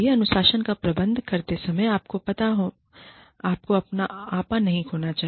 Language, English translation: Hindi, When administering discipline, you should not lose your temper